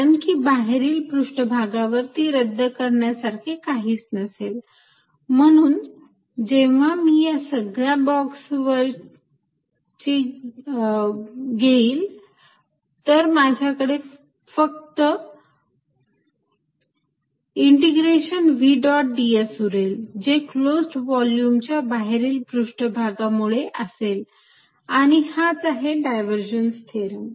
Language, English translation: Marathi, Why because there is no nothing to cancel on the outside surface, so when I add over all the boxes I am going to left with integration v dot d s over the outside surface of the close volume and that is what the divergent theorem is